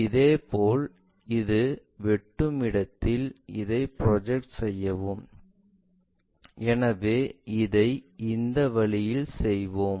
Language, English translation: Tamil, Similarly, transfer this one where it is intersecting, so let us do it in this way